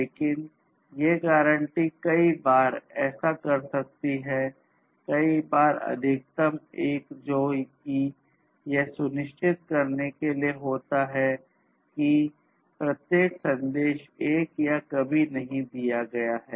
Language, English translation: Hindi, But, these guarantees may do so, multiple times at most once which is about each ensuring that each message is delivered once or never